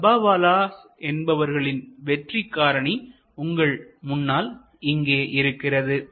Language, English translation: Tamil, So, the Dabbawala success factors are in front of you